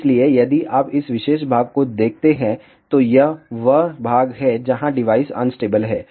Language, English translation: Hindi, So, if you see this particular portion, this is the portion where the device is unstable